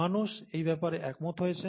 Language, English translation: Bengali, And people have, kind of, agreed on this